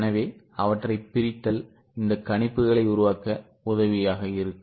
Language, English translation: Tamil, This breakup will be helpful for making projections